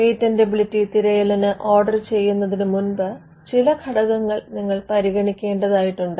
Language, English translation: Malayalam, There are certain factors you will consider before ordering a patentability search